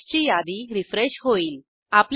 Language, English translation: Marathi, The package list will get refreshed